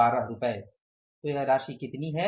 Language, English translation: Hindi, So, this is going to be how much